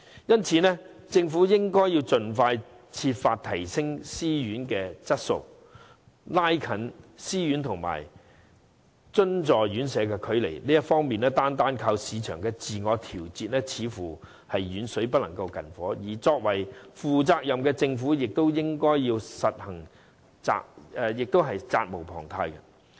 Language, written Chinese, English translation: Cantonese, 因此，政府應盡快設法提升私營院舍的質素，拉近私營院舍和津助院舍的距離，這方面單靠市場自我調節似乎是遠水不能救近火，而作為負責任的政府，實在責無旁貸。, Hence the Government should identify ways to upgrade the quality of self - financing RCHEs expeditiously narrowing the gap between self - financing and subsidized RCHEs . The self - adjustment of the market is a slow remedy to the imminent problems we are now facing . As a responsible Government it has an inescapable responsibility to address the issue